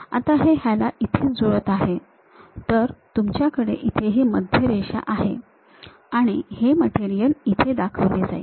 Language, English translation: Marathi, Now this one maps on to that; so, you will be having a center line and this material is projected